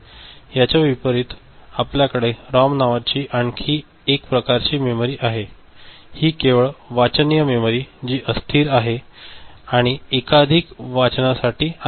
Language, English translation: Marathi, Contrast to that we have got another type of memory called ROM, Read Only Memory, which is non volatile and it is meant for multiple reading ok